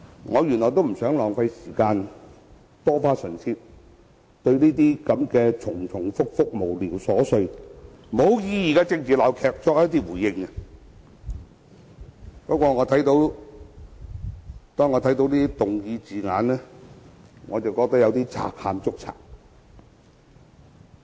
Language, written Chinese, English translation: Cantonese, 我原本也不想浪費時間，多花唇舌就這些重複、無聊瑣碎且毫無意義的政治鬧劇作出回應，但當我看罷議案的字眼後，實在覺得是"賊喊捉賊"。, Originally I did not want to waste my time making responses to such a repetitive frivolous and meaningless political farce but having read the wordings of the motion it seems to me that it is just like a thief calling on others to catch a thief